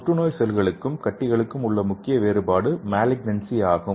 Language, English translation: Tamil, And the main difference between the cancer and tumor is malignant cells okay